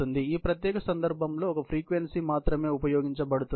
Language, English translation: Telugu, So, only one frequency is used in this particular case